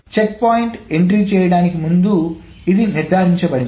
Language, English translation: Telugu, It is made sure before the checkpoint entry is being made